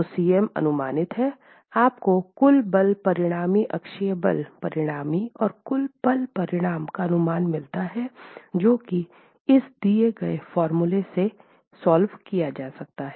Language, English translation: Hindi, You get your estimate of the total force resultant, axial force resultant and the total moment resultant